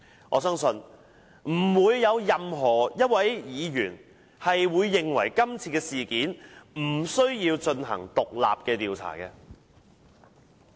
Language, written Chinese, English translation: Cantonese, 我相信不會有任何一位議員認為今次事件不需要進行獨立調查。, I believe no Member will think that this incident does not warrant an independent investigation